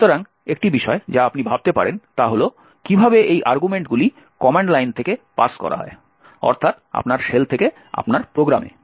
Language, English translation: Bengali, So, one thing that you could think about is how are these arguments actually passed from the command line that is from your shell to your program